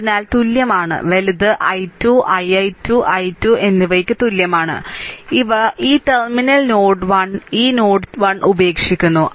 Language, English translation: Malayalam, So, is equal to, right is equal to that i 2, i i 2 and i 3, these are leaving this terminal node 1, this node 1 it is leaving